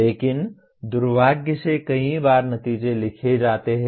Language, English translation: Hindi, But that is the way unfortunately many times the outcomes are written